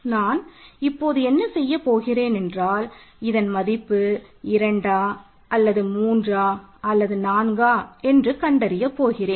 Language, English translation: Tamil, So, what I now want to do is to determine whether it is 2, 3 or 4, so let us look at this